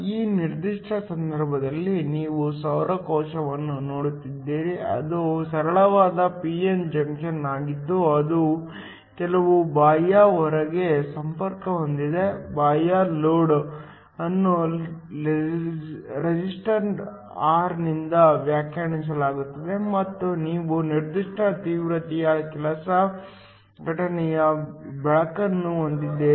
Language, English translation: Kannada, In this particular case, you are looking at a solar cell which is a simple p n junction that is connected to some external load, the external load is defined by a resistor r and you have some incident light of certain intensity which is given by Iop